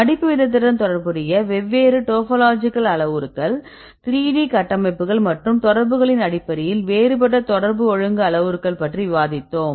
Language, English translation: Tamil, So, there is related with the folding rate right, then we discussed about different topological parameters based on the 3D structures and contacts right what are the different parameters we discussed